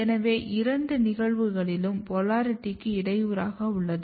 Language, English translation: Tamil, So, in both the cases what is happening that polarity is disturbed